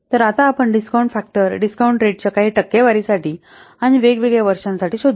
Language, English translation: Marathi, So now let's see we will find out the discount factor for some percentage of the discount rates and for different years